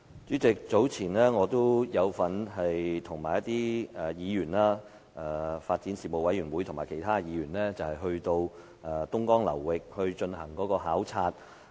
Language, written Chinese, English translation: Cantonese, 主席，早前我與其他議員有份與發展事務委員會前往東江流域進行考察的活動。, President I joined the Panel on Development with other Members for a visit to the Dongjiang River Basin recently